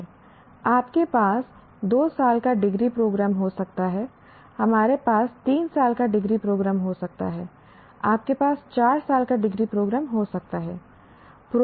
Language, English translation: Hindi, You can have a two year degree program, you can have a three year degree program, you can have a four year degree program